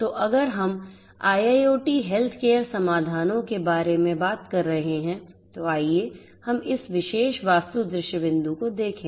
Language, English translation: Hindi, So, if we are talking about IIoT healthcare solutions, let us look at this particular architectural view point